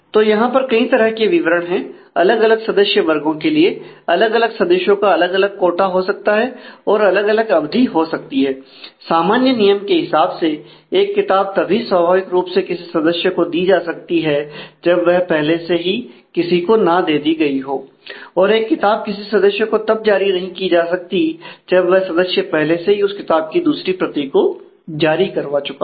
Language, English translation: Hindi, So, there are different specification for at different categories of member can have different quota and different duration the general rule as specified by this libraries the a book may be issues to a member naturally if it is not issued to someone else the book has to be available also a book may not be issued to a member if another copy of the same book is already issued to the same member